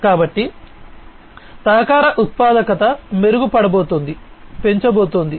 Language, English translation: Telugu, So, collaboration productivity is going to be improved, is going to be increased